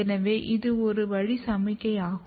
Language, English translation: Tamil, So, it is signaling both way